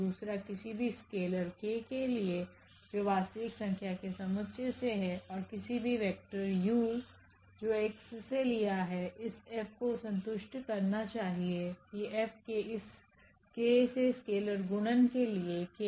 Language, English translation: Hindi, The second one for any scalar k here from the set of real numbers and a vector any vector u from this X this F should also satisfies that F of the multiplication of this k scalar multiplication of this k to u